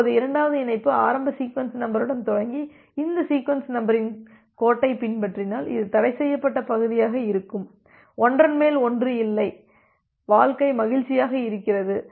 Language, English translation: Tamil, Now, if the second connection starts from here with the initial sequence number and follow this line the sequence number space, then this would be the forbidden region, there is no overlap my life is happy